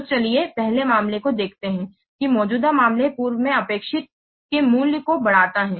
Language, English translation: Hindi, So let's see first case, the extending case, extending value of the or expected